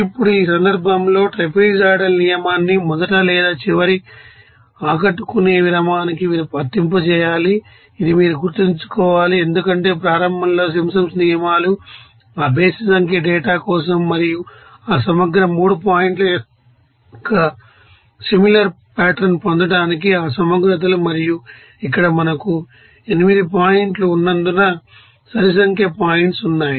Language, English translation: Telugu, Now, in this case remember this since there are even number of points the trapezoidal rule must be applied to what the first or last impressive interval, this you have to remember, because, where Simpsons rules in early applied for you know that you know that odd number of data and to get that similar pattern of that you know successive 3 points to find out that you know that integrals and here since we are having you know, 8 points, so, here even number of points